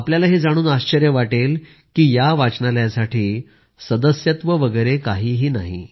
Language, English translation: Marathi, You will be surprised to know that there is no membership for this library